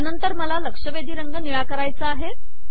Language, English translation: Marathi, I want to make this alerted color blue